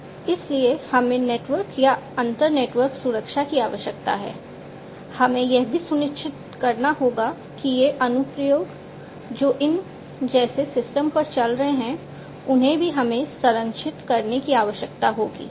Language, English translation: Hindi, So, we need to have network or inter network security we also need to ensure that these applications that are running on the system like these ones these also will we will need to be protected